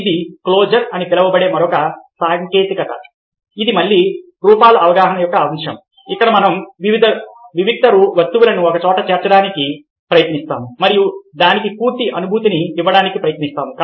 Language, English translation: Telugu, ok, this is another technique, known as closure, which is again a aspect of form perception, where we try to bring discrete objects together and try to give it a sense of completion